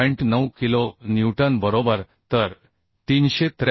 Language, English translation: Marathi, 9 kilonewton right 373